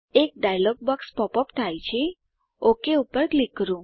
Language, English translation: Gujarati, A dialog box pops up, lets click OK